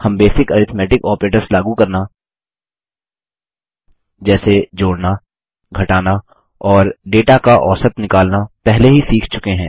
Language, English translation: Hindi, We have already learnt to apply the basic arithmetic operators like addition,subtraction and average on data